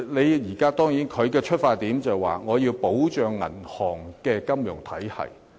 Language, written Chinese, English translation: Cantonese, 當然，金管局的出發點，是要保障銀行金融體系。, Of course the primary consideration of HKMA is to protect the banking and financial systems